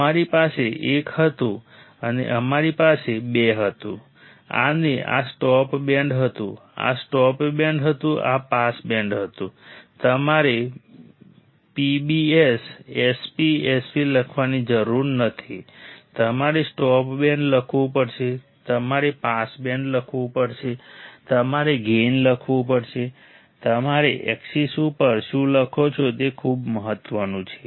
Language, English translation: Gujarati, We have we had 1 and we had 2 and this was stop band, this was stop band this was pass band right you do not you do not have to write PBS SP S P you have to write stop band, you have to write pass band, you have to write gain, it is very important what you write on the axis